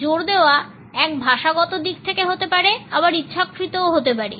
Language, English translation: Bengali, The stress can be either a linguistic one or a deliberate one